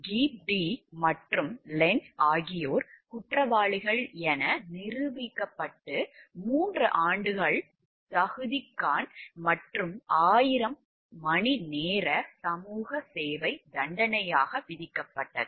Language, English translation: Tamil, Gepp Dee and Lentz were each found guilty and sentenced to 3 years’ probation and 1000 hours of community service